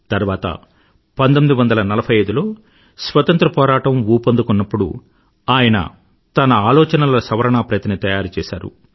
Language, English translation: Telugu, Later, in 1945, when the Freedom Struggle gained momentum, he prepared an amended copy of those ideas